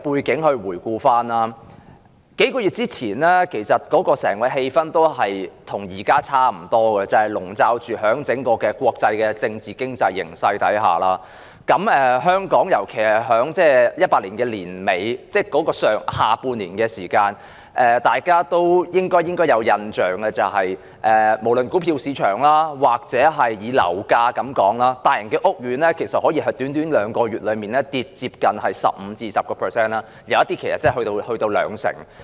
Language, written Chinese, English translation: Cantonese, 我可以回顧一些背景，在數個月前，整個氣氛與現時差不多，籠罩在整體國際的政治及經濟形勢下，香港在2018年下半年時，大家應有印象是，股票和樓價下跌，大型屋苑的樓價可以在年底短短兩個月內下跌超過 15%， 部分更下跌多達兩成。, The entire atmosphere of Hong Kong a few months ago was similar to that at present being overshadowed by the international political and economic circumstances . Our impression of the situation in the latter half of 2018 in Hong Kong should be the plunge in stock and property prices . Within two months at the end of last year the prices of large housing estates fell over 15 % while some estates even fell as much as 20 %